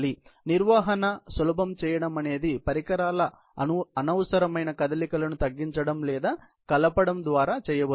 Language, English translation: Telugu, So, simplify the handling and that can be done by reducing or combining unnecessary movements of the equipment